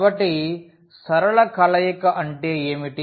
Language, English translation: Telugu, So, what is linear combination